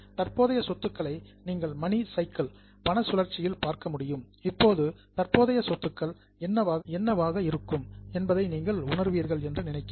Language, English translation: Tamil, Now current assets, you can look at a money cycle and I think you will realize what could be the current assets